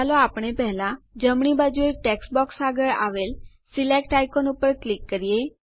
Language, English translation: Gujarati, Let us click on the Select icon on the right next to the first text box